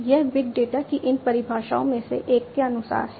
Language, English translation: Hindi, This is as per one of these definitions of big data